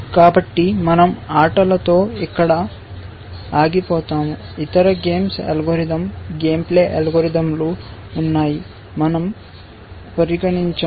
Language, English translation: Telugu, So, we will stop here with games, there are other games plays algorithm, game playing algorithms that we will not consider